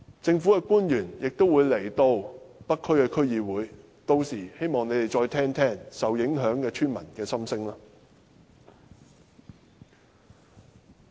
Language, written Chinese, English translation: Cantonese, 政府官員明天會到北區區議會，屆時希望他們會再聆聽受影響村民的心聲。, Some government officials will attend the North District Council meeting tomorrow and I hope that they will listen to the views of the affected villagers